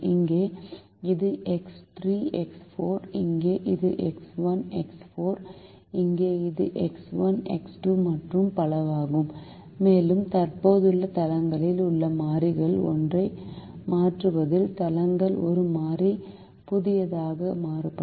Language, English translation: Tamil, here it is x three, x four, here it is x one, x four, here it is x one, x two, and so on, and the bases will differ, with one variable new coming in replacing one of the variables in the existing bases